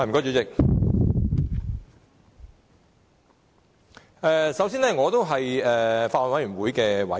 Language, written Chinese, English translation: Cantonese, 主席，首先，我是法案委員會的委員。, President first of all I wish to say that I am a member of the Bills Committee